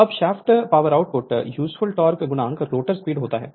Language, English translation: Hindi, Now, shaft power output is equal to useful torque into rotor speed